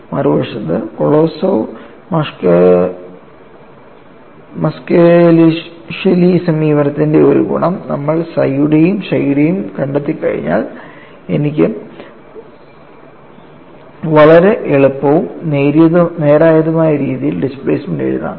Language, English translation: Malayalam, On the other hand, one of the advantages is of Kolosov Muskhelishvili approach is, once you find out psi and chi, I can write the displacement field in a very comfortable and straight forward fashion and how it is written